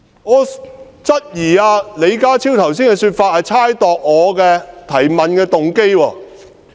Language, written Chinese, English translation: Cantonese, 我質疑李家超剛才的說法是猜測我提問的動機。, I suspect that the remarks made by John LEE is tantamount to imputing my motive of asking the question